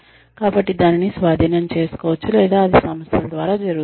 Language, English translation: Telugu, So, that can be taken over or that is done through the organizations